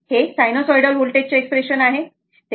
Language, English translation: Marathi, So, this is the expression for the sinusoidal voltage, right